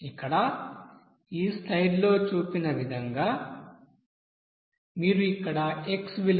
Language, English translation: Telugu, Like this here shown in this you know slide that if you are considering here, the x value as 0